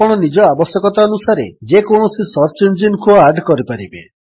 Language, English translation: Odia, You can add any of the search engines according to your requirement